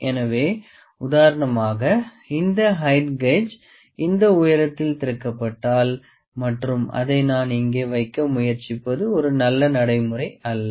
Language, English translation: Tamil, So, for instance if the height gauge is opened in this height and if I try to place it here this is not a good practice